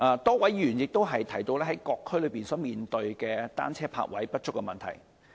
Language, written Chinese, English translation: Cantonese, 多位議員亦提到各區面對單車泊位不足的問題。, A number of Members have also mentioned the shortage of bicycle parking spaces faced by various districts